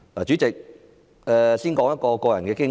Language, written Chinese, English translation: Cantonese, 主席，我先說一段個人的經歷。, President let me first share a personal experience